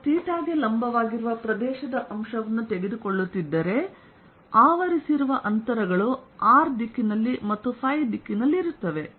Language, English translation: Kannada, if i am taking an area element perpendicular to theta, the distances covered are going to be in the r direction and in phi direction